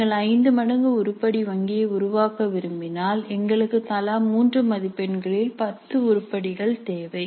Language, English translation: Tamil, So if you want to create an item bank which is five times that then we need 10 items of three marks each